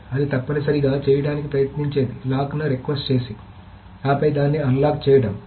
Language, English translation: Telugu, So, what it essentially tries to do is to request a lock and then unlock